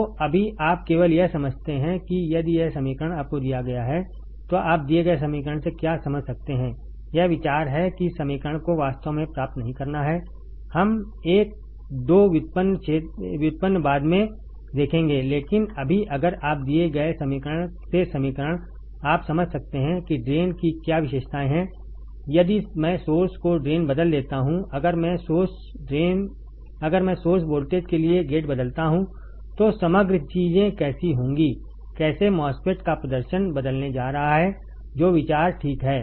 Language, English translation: Hindi, So, right now you just understand that if this is the equation given to you what you can understand from the given equation that is the idea not to really derive the equation we will see one 2 derivations later, but right now if you are given the equation from the equation can you understand what is a drain characteristics if I change the drain to source if I change gate to source voltage, how the overall things would happen, how the performance of the MOSFET is going to change that is the idea ok